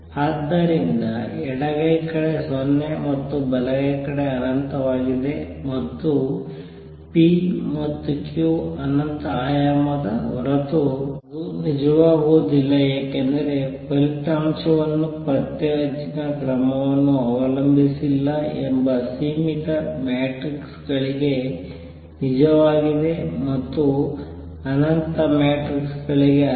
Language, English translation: Kannada, So, left hand side is 0 and right hand side is infinity and that cannot be true unless p and q are infinite dimensional because the result that the trace does not depend on the order is true for finite matrices and not for infinite matrices